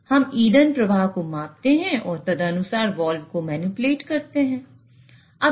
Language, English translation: Hindi, So, we measure the fuel flow and accordingly manipulate the valve